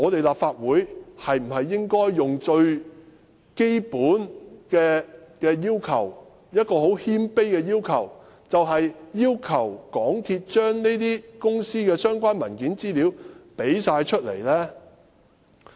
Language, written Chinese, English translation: Cantonese, 立法會最起碼是否應該提出一個很謙卑的要求，要求港鐵公司提供這些公司的所有相關文件和資料？, Should the Legislative Council not at least make a humble request and ask MTRCL to produce all documents and information related to these companies?